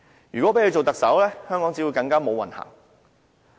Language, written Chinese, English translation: Cantonese, 如果讓她做特首，香港只會更"無運行"。, It will be disastrous to Hong Kong if she is elected as the next Chief Executive